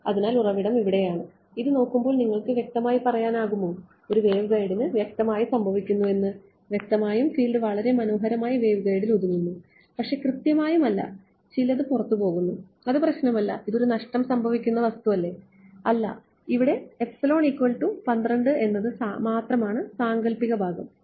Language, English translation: Malayalam, So, the source was over here and looking at this can you say that there is definitely a wave guiding happening clearly right the field is very nicely confined to the waveguide, but not strictly some of it is leaking out no problem right it is not and this is not a lossy material, it is just epsilon equal to 12 there is no imaginary part